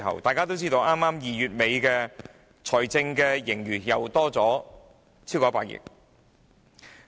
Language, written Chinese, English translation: Cantonese, 大家都知道 ，2 月底的財政盈餘又多了超過100億元。, As we all know an extra 10 billion was added to the fiscal surplus at the end of February